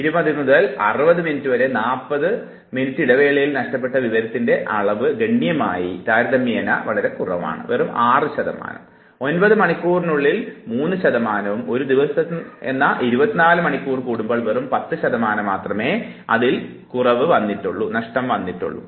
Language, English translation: Malayalam, 20 to 60 minutes you have a 40 minutes gap, but then the information lost is very little, just 6 percent more,3 percent in 9 hours and 10 percent when you cover one full day 24 hours